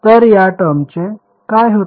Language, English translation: Marathi, So, what happens of this term